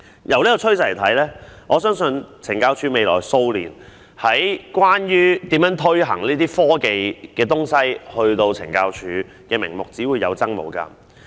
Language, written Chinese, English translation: Cantonese, 從這個趨勢可以見到，在未來數年，懲教署以科技為名推行的項目只會有增無減。, Telling from this trend the number of projects to be implemented by CSD in the name of technology in the coming years will only keep increasing